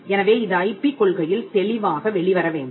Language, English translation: Tamil, So, this has to come out clearly in the IP policy